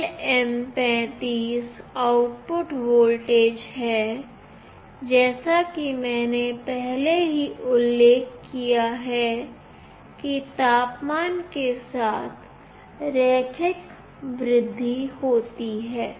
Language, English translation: Hindi, LM35 output voltage as I have already mentioned increases linearly with temperature